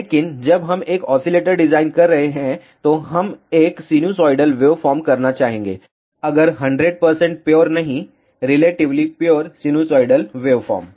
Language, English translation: Hindi, But when we are designing an oscillator, we would like to have a sinusoidal waveform, if not 100 percent pure, relatively pure sinusoidal waveform